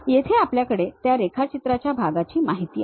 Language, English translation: Marathi, Here we have that part drawing information